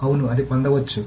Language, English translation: Telugu, Yes, it can get it